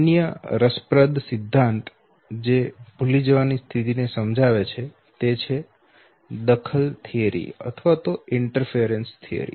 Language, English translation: Gujarati, The other interesting theory which explains forgetting is the interference theory okay